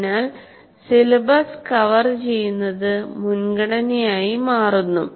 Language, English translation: Malayalam, So the covering the syllabus becomes the priority